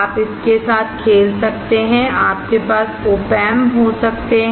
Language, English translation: Hindi, You can play with it, you can have OP Amps